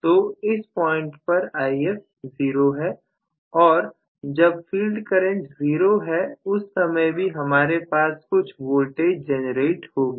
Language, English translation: Hindi, So, If is zero at this point and when field current is zero still I will have at least some amount of generated voltage